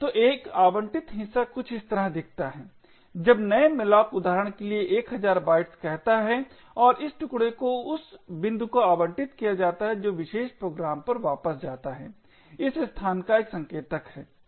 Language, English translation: Hindi, So an allocated chunk looks something like this when new malloc say for example 1000 bytes and this chunk gets allocated the point that gets return to the particular program is a pointer to this location over here